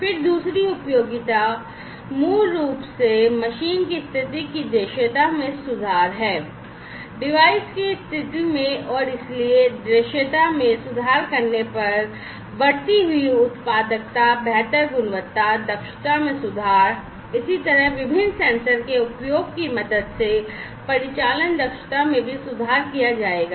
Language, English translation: Hindi, Then second utility is basically improving the visibility of what visibility of the machine status, in the device status and so, on improving visibility, operational efficiency will also be improved with the help of use of different sensors likewise increasing productivity, improving quality, efficiency, quality management, efficiency